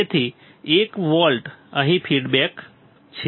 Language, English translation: Gujarati, So, 1 volt is feedback here